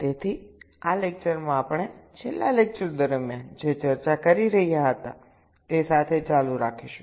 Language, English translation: Gujarati, so in this lecture we shall be continuing with what we were discussing during the last lecture